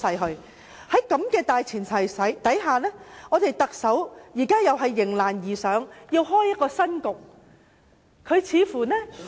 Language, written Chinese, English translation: Cantonese, 在這個大前提下，特首再次迎難而上，開創一個新局面。, On this premise the Chief Executive has once again risen to challenges and created a new situation